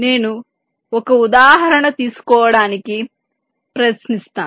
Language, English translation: Telugu, let let me give an example